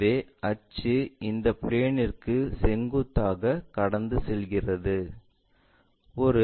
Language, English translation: Tamil, So, axis pass through that passing perpendicular to this plane